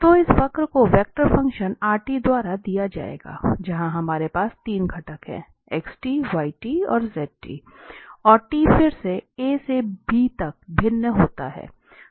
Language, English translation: Hindi, So let this curve be given by this vector function rt, where we have 3 components there, the xt, yt and zt, this t again varies from a to b